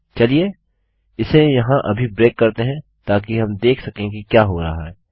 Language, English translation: Hindi, Lets just beak it up here so we can see whats going on